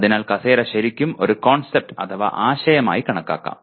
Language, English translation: Malayalam, So the chair is really can be considered as a concept